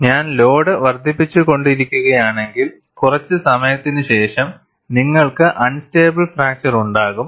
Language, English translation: Malayalam, If I keep on increasing the load, after sometime, you will have a unstable fracture